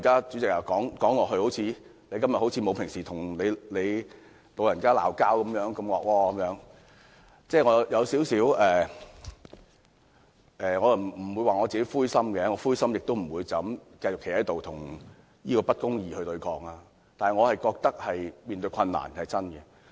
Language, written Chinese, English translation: Cantonese, 主席，我今天不像平日與你吵架般兇惡，我不會說是因為灰心，如果是這樣，我亦不會站在這裏繼續與不公理對抗，但我認為面對困難是真的。, Chairman today I am not as hostile to you as I used to be . That is not because I have lost heart . If I had really lost heart I would not have stood up to oppose this very injustice